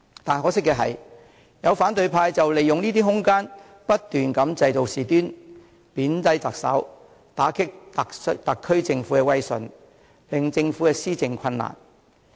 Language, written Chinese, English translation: Cantonese, 但可惜的是，有反對派利用這些空間不斷製造事端，貶低特首，打擊特區政府的威信，令政府施政困難。, Regrettably some in the opposition camp have made use of such room to stir up trouble over and over again in a bid to debase the Chief Executive undermine the prestige of the SAR Government and make its governance a difficult task